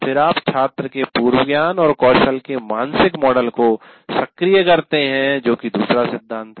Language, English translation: Hindi, And then you activate the mental model of the prior knowledge and skill of the student